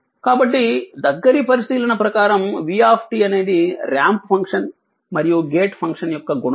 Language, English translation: Telugu, So, a close observation reveals that v t is multiplication of a ramp function, it is a ramp function